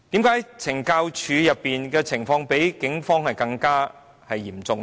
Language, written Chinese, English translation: Cantonese, 為何懲教署出現濫用私刑的情況比警方嚴重呢？, Why is the use of extrajudicial punishment more serious in CSD than in the Police?